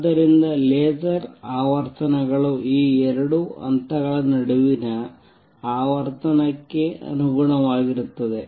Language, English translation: Kannada, So, laser frequencies is going to be the corresponding to the frequency between the these two levels